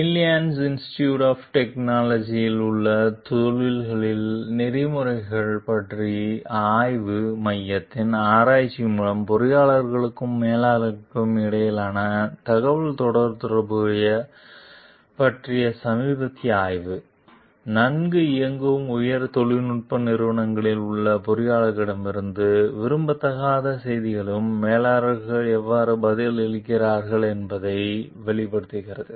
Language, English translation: Tamil, A recent study of communications between engineers and managers by research at the Center for the Study of Ethics in the Professions at the Illinois Institute of Technology reveals how managers respond to unwelcome news from in engineers in well run high tech companies